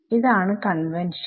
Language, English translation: Malayalam, So, this is the convention